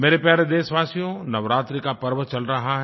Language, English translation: Hindi, My dear countrymen, Navratras are going on